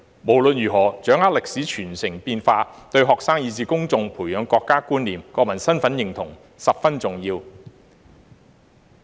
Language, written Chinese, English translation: Cantonese, 無論如何，掌握歷史傳承變化，對學生以至公眾培養國家觀念及國民身份認同十分重要。, In any case understanding history is crucial for students and the public to cultivate a national sense and recognition of national identity